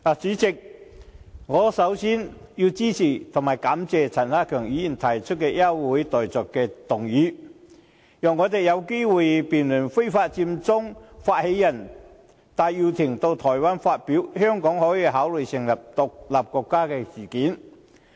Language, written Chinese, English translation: Cantonese, 主席，首先我支持並感謝陳克勤議員提出休會待續議案，讓我們有機會辯論非法佔中發起人戴耀廷到台灣發表"香港可以考慮成立獨立國家"事件。, President first of all I support Mr CHAN Hak - kan in proposing the adjournment motion and thank him for doing so so that we have the opportunity to debate the incident in which initiator of the illegal Occupy Central movement Benny TAI made a remark of Hong Kong can consider becoming an independent state in Taiwan